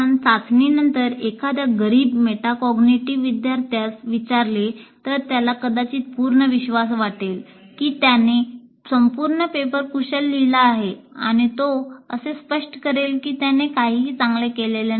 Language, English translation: Marathi, If you ask a poor metacognitive student, after the test, he may feel very confident that he has asked the entire paper, or otherwise he will just declare that I haven't done anything well